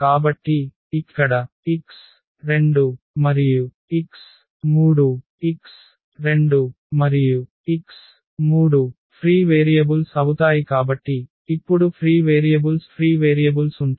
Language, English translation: Telugu, So, here x 2 and the x 3; x 2 and x 3 will be will be free variables so, there will be free variables now free variables